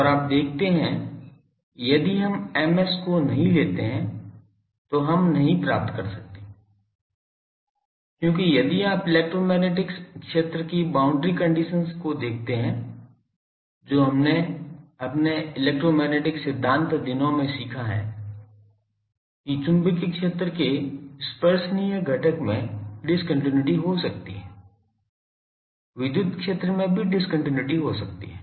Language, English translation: Hindi, And you see that if we do not take Ms, we cannot get because in the if you look at the boundary condition of the electromagnetic field that we have learned in our EM theory days; that there can be discontinuity in the tangential component of magnetic field, there can be discontinuity in electric field also